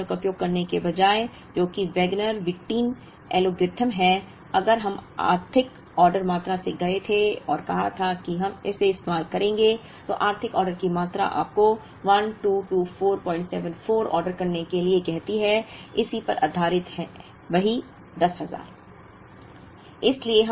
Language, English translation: Hindi, Then instead of using this model, which is a Wagner Whitin algorithm, if we had gone by the economic order quantity and said we would use it, then the economic order quantity tells you to order 1224